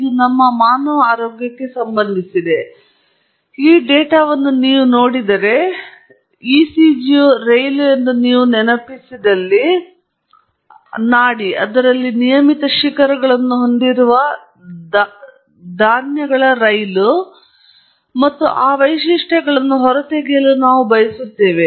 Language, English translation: Kannada, It’s related to our human health, and if you see, if you recall ECG is a train, is a pulse, train of pulses which has regular peaks in it and we would like to extract those features